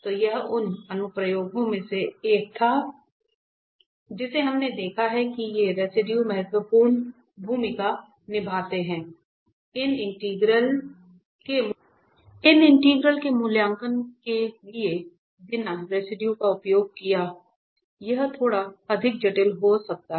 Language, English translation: Hindi, So, this was one of the applications which we have seen these residues play important role for the evaluation of these integrals without using the residue this might be little bit more complicated